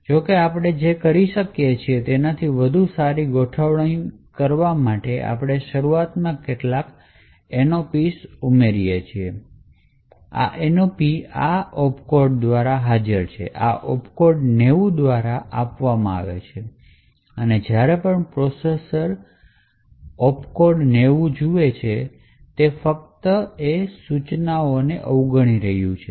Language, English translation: Gujarati, However, to get a better alignment what we do is we add some Nops initially so the Nops is present by this opcode is given by this opcode 90 and whenever the processor sees this opcode of 90 it is just going to skip the instruction to nothing in that instruction